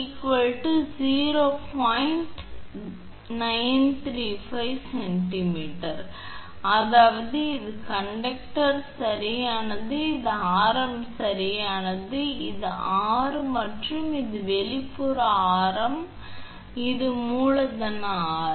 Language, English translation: Tamil, 935 centimeter I mean it is like this is the conductor right it is radius right this is r and this is your outer radius this is capital R